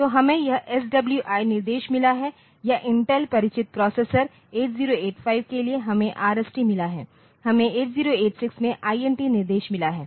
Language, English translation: Hindi, So, we have got this SWI instruction or for Intel familiar processors we have got 8085 we have got RST instruction 8086 there is another instruction called INT